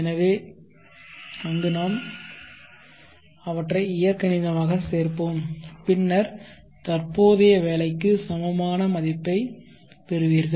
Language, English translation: Tamil, So then there we algebraically add them and then you will get the equivalent value for the present work